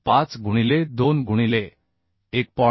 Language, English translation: Marathi, 25 into 2 into (1